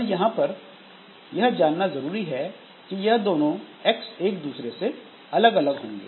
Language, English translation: Hindi, But you should understand that this x and this x they are totally different